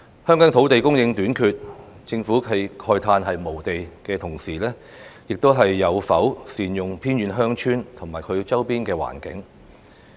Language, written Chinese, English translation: Cantonese, 香港土地供應短缺，政府慨嘆無地的同時，又有否善用偏遠鄉村及其周邊環境呢？, When Hong Kong is facing the problem of land shortage and the Government is moaning about inadequate land supply has it made better use of remote villages and their surrounding areas?